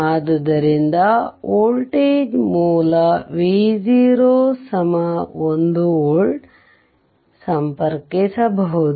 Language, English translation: Kannada, And you connect a voltage source, say V 0 is equal to 1 volt right